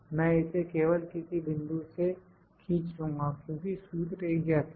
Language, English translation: Hindi, I will just drag it from any point because the formula is same